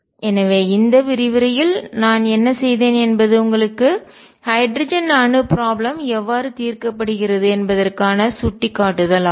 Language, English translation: Tamil, So, what I have done in this lecture is given to you an indication has to how hydrogen atom problem is solved